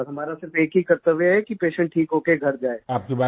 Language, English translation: Hindi, And, our only duty is to get the patient back home after being cured